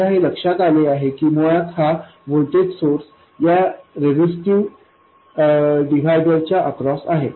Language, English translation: Marathi, I will notice that basically this voltage source appears across this resistive divider